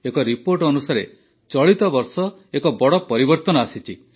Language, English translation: Odia, According to a report, a big change has come this year